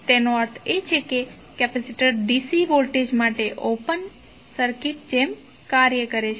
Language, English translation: Gujarati, That means the capacitor acts like an open circuit for dC voltage